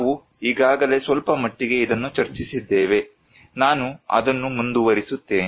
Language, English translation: Kannada, We already discussed it at some extent so, I will continue that one